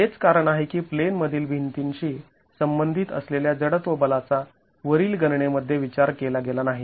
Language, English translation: Marathi, So, that's the reason why the inertial force corresponding to the in plain walls has not been considered in the calculation above